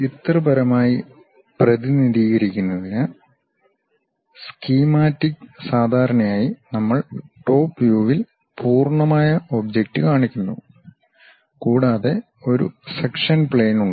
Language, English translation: Malayalam, To represent in a pictorial way, the schematic usually we show the complete object in the top view and there is a section plane